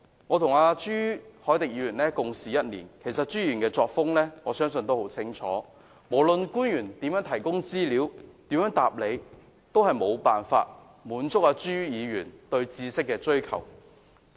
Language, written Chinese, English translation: Cantonese, 我和朱凱廸議員共事1年，朱議員的作風我相信大家也知道得很清楚，不論官員如何提供資料和答覆，也無法滿足朱議員對知識的追求。, I have been working with Mr CHU Hoi - dick for one year and I believe we all know very clearly his way of doing things . No matter what materials and answers are provided by officials Mr CHUs quest for knowledge could not be satisfied